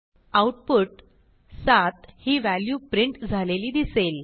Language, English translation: Marathi, We see in the output, the value 7 is printed